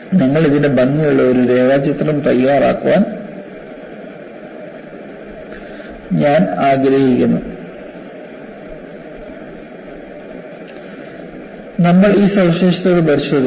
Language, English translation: Malayalam, I would like you to make a neat sketch of it and we will look at these features